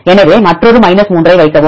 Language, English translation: Tamil, So, put another 3